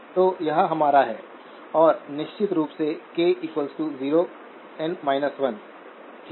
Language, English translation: Hindi, So that is our, and of course, k goes from 0 through n minus 1, okay